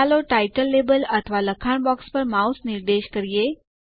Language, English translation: Gujarati, Let us point the mouse over the title label or the text box